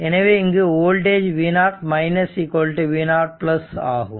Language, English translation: Tamil, And say this is v and this is v 0 right